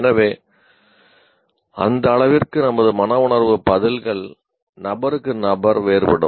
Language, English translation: Tamil, So to that extent our affective responses will differ from individual to individual